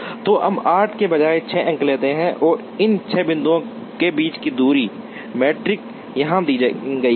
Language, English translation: Hindi, So, let us take 6 points, instead of 8 and the distance matrix among these six points is given here